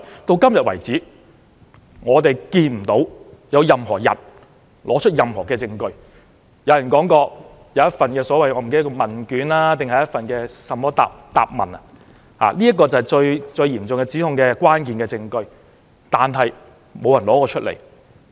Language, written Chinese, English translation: Cantonese, 到目前為止，我們看不到任何人拿出任何證據，雖然有人說有一份問卷或答問——那是這次嚴重指控的一個關鍵證據——但沒有人拿出來。, Until this moment we have not seen anyone producing any evidence . Though someone has talked about a questionnaire or a question form―a piece of evidence which is key to this serious allegation―no one has taken it out